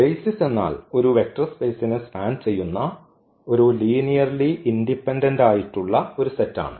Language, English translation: Malayalam, So, the basis is a linearly independent set that span a vector space